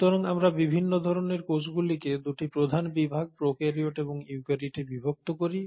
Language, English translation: Bengali, So we divide different types of cells into 2 major categories, prokaryotes and eukaryotes